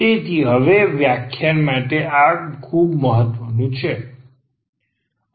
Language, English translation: Gujarati, So, this is very important for this lecture now